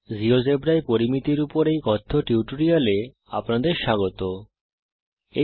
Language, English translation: Bengali, Hello everybody Welcome to this tutorial on Mensuration in Geogebra